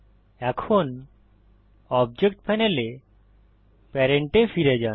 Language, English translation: Bengali, Now go back to Parent in the Object Panel